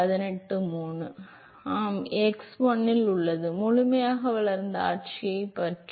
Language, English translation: Tamil, So, this is at x1, what about fully developed regime